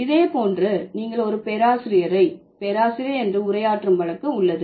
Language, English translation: Tamil, Similar is the case when you address a professor as prof